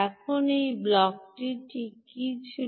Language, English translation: Bengali, ok, now what was this block